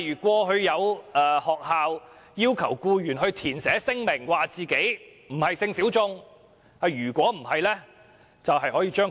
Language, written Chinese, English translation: Cantonese, 過去曾有學校要求僱員填寫聲明，表明自己並非性小眾，否則會被開除。, Previously there was a school requesting its employees to make statements declaring that they were not sexual minority persons; otherwise they would be fired